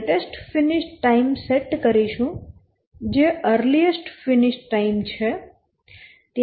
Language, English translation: Gujarati, So the earliest start will set as earliest finish